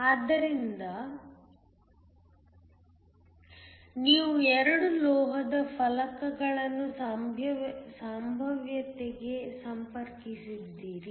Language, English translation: Kannada, So, you have 2 metal plates connected to a potential